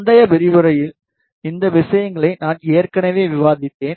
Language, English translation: Tamil, I have already discussed these things in previous lecturer